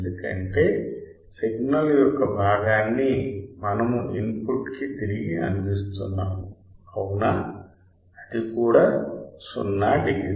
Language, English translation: Telugu, Because the signal the part of the signal that we have providing back to the input right that is also 0 degree